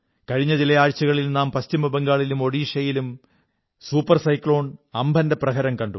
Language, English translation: Malayalam, During the last few weeks, we have seen the havoc wreaked by Super Cyclone Amfan in West Bengal and Odisha